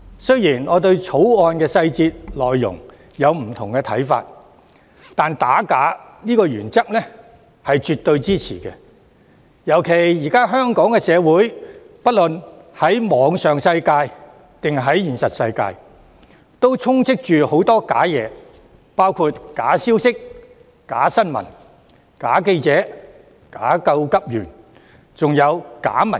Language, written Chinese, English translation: Cantonese, 雖然我對《條例草案》的細節和內容有不同的看法，但我絕對支持打假的原則，特別是現今的香港社會無論在網上或現實世界，皆充斥着假的事物，包括假消息、假新聞、假記者、假急救員，還有假民主。, Although I have different views on the details and contents of the Bill I absolutely support the principle of combating forgery especially in view of the prevalence of counterfeit things in Hong Kongs society nowadays including fake information fake news fake journalists fake first - aiders and fake democracy both online and in the real world